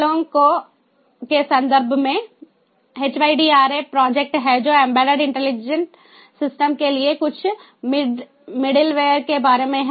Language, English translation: Hindi, in terms of the initiatives, there is that hydra project ah, which is about some middle ware for embedded intelligent systems, ah